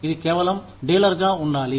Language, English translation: Telugu, It should be, just dealer